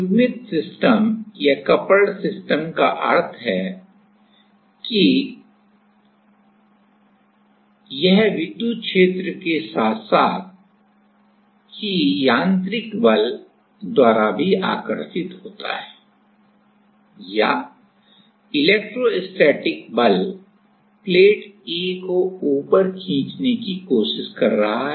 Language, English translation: Hindi, Coupled system means that it is also attracted by the electric field as well as the mechanical force or the electrostatic force is trying to pull the A plate up